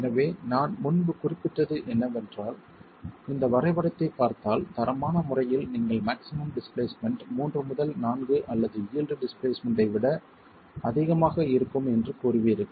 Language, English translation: Tamil, So, what I was mentioning earlier is that if you look at this graph, qualitatively you will say that the maximum displacement is 3 to 4 or even more than the eel displacement